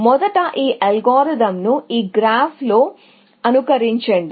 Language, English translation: Telugu, So, let us first simulate this algorithm on this graph